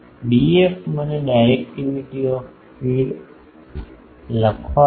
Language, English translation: Gujarati, D f let me write directivity of feed D f